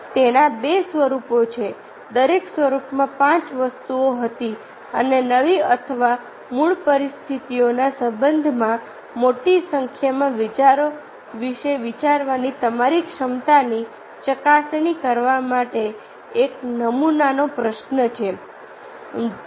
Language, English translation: Gujarati, five items were in each form, and the test your ability to think of a large number of ideas in connection with a new or original situations